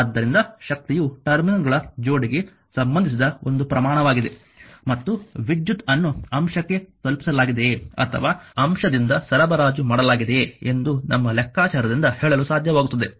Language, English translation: Kannada, Therefore, power is a quantity associated with the pair of terminals and we have to be able to tell from our calculation whether power is being delivered to the element or supplied by the element